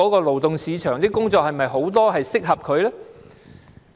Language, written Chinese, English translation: Cantonese, 勞動市場是否有很多工作適合他們呢？, Are there many jobs suitable for them in the labour market?